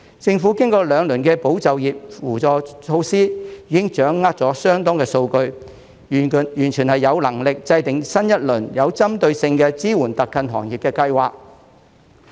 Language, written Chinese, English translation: Cantonese, 政府經過兩輪的保就業扶助措施，已經掌握相當數據，完全有能力製訂新一輪有針對性的支援特困行業的計劃。, After two rounds of measures to support employment the Government has already obtained considerable data and is fully capable of formulating a new round of targeted support schemes for hard - hit industries